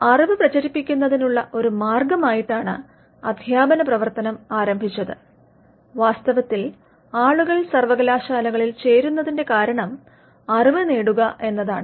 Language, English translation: Malayalam, Now, the teaching function started off as a way to spread knowledge and in fact the reason why people enroll in universities is to gain knowledge